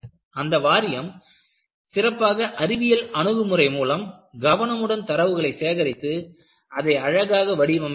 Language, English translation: Tamil, So, the board was very scientific in its approach, open minded and carefully collected voluminous data and beautifully characterized it